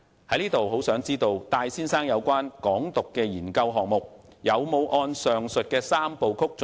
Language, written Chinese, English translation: Cantonese, 我很想知道戴先生有關"港獨"的研究項目，有否按照上述三步曲進行。, I am eager to know if the research project undertaken by Mr TAI on Hong Kong independence was conducted in accordance with the aforesaid three - step process